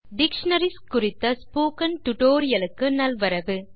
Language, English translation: Tamil, Hello friends and Welcome to the spoken tutorial on dictionaries